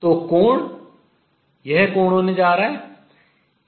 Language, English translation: Hindi, So, angle is going to be this angel